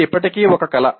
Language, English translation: Telugu, This is still an art